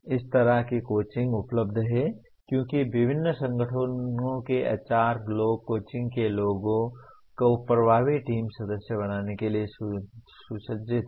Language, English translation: Hindi, Such coaching is available because the HR people of various organizations are equipped for coaching people to be effective team members